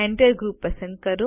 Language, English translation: Gujarati, Select Enter Group